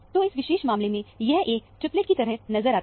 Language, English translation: Hindi, So, it appears as a triplet, for example